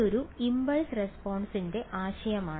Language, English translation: Malayalam, Now, this impulse response is